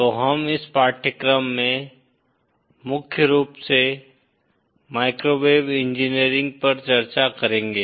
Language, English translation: Hindi, So in this course, we will be discussing primarily microwave engineering